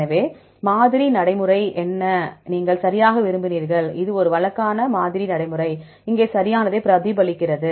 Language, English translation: Tamil, So, what are the sampling procedure did you want right this is a regular sampling procedure, and here replicates right